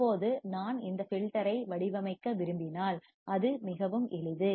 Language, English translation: Tamil, Now, if I want to design this filter, it is very simple